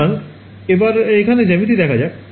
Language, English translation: Bengali, So, the let us look at the geometry over here